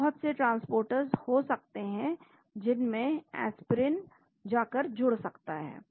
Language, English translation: Hindi, So, it could be lot of transporters into which Aspirin may go and bind